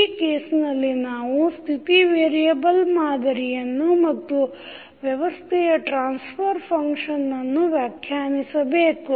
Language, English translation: Kannada, In this case we need to determine the state variable model and the transfer function of the system